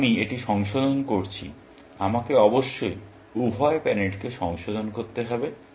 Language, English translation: Bengali, Because, I am revising this, I must revise both the parents